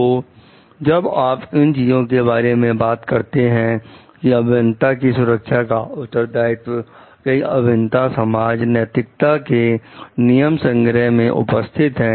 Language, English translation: Hindi, So, when you are talking of these things what we find like there is the responsibility for safety of the engineers have been embedded in the codes of ethics of many engineering societies